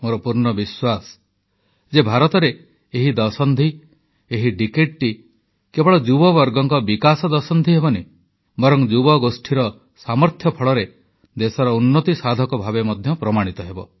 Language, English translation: Odia, I am of the firm belief that for India, this decade will be, not only about development & progress of the youth; it will also prove to be about the country's progress, harnessing their collective might